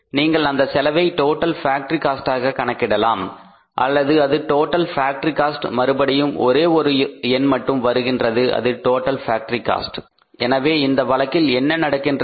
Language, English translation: Tamil, You can calculate this cost as total factory or the this is a total factory cost and only again one figure will come here that is the total factory cost